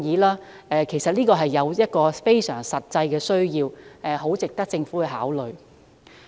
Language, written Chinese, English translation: Cantonese, 律師服務是非常實際的需要，所以我的建議十分值得政府考慮。, There is a very practical need to provide lawyer service and my proposal is therefore worth considering by the Government